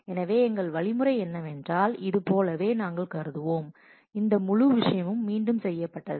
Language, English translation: Tamil, So, our strategy would be, that we will assume as if this, this whole thing as is redone